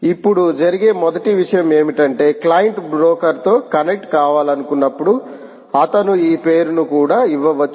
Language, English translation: Telugu, first thing that will happen is when the client wants to connect to the broker, he might even give this name: nptel, dot, example